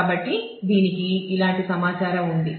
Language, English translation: Telugu, So, it has informations like this